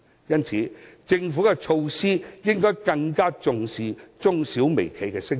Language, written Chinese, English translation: Cantonese, 因此，政府制訂措施時，應該更重視中小微企的聲音。, Hence the Government should attach greater importance to SMEs and micro - enterprises when it formulates its policies